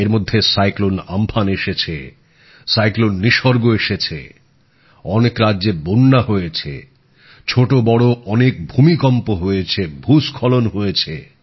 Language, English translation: Bengali, Meanwhile, there were cyclone Amphan and cyclone Nisarg…many states had floods…there were many minor and major earthquakes; there were landslides